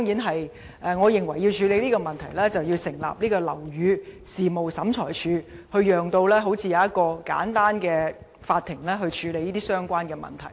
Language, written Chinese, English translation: Cantonese, 此外，我認為要處理這個問題，便要成立"樓宇事務審裁處"，以簡單的法庭形式處理相關的問題。, Furthermore in order to address this issue I believe a building affairs tribunal should be set up to deal with the relevant issues as a court in a summary manner